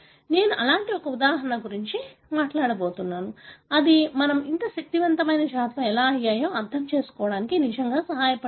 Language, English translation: Telugu, I am going to talk about one such example which really helped us to understand how we became so powerful species